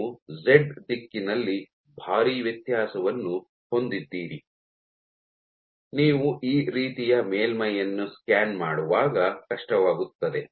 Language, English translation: Kannada, So, you have a huge variation in Z direction which is difficult to do when you are just scanning the surface like this